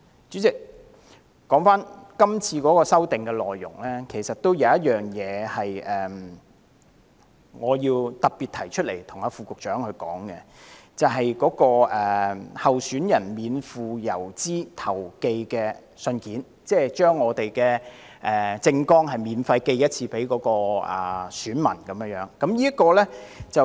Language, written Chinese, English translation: Cantonese, 主席，說回今次條例草案的修訂內容，我對其中一項有些意見，希望特別向副局長提出，就是關於候選人免付郵資投寄的信件，即是讓候選人免費向選民寄出政綱一次。, President coming back to the amendments to the Bill I have some views on one of them and wish to especially raise them to the Under Secretary . They concern the requirements for letters sent free of postage by candidates ie . election manifestoes candidates allowed to send to voters free of charge once